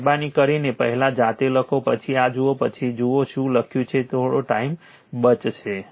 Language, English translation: Gujarati, So, please write yourself first, then you see this then you see what have been written then some time will be save right